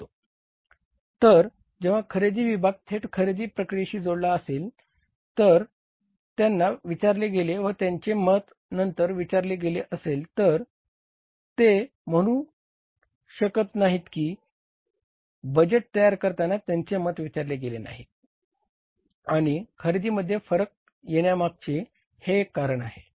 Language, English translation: Marathi, So, when the purchase department who are directly linked to the purchase process if they are asked and their input is asked, so later on they cannot say that while preparing the budgets our inputs were not asked for and it is because of that reason that the now the purchase variances have come up or the variances at the purchase level have come up